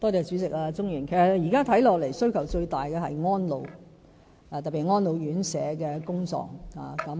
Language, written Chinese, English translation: Cantonese, 主席、鍾議員，現時看來，其實需求最大的是安老服務，特別是安老院舍的工作。, President Mr CHUNG as we can observe now the demand for elderly services especially residential care homes for the elderly RCHEs should be the greatest